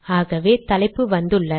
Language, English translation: Tamil, So the caption has come